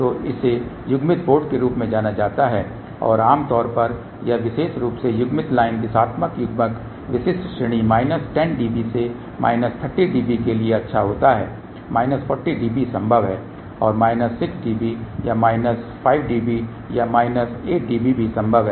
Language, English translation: Hindi, So, this is known as coupled port and generally this particular coupled line directional coupler is good for typical range is minus 10 db to about minus 30 db of course, minus 40 db is possible and also minus 6 db or minus 5 db or minus 8 db is possible